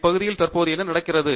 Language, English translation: Tamil, What is happening currently in the area